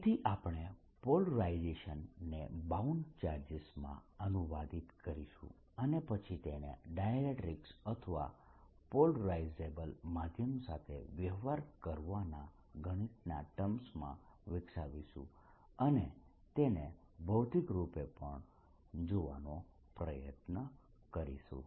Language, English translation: Gujarati, so we will translate polarization into bound charges and then develop in mathematics of dealing with dielectrics or polarizable medium and try to see it physically also